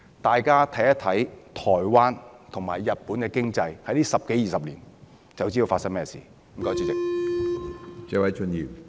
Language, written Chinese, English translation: Cantonese, 大家看看台灣和日本這十多二十年來的經濟，便會知道是甚麼一回事了。, Simply look at the economy of Taiwan and Japan over these two decades and we will know what will happen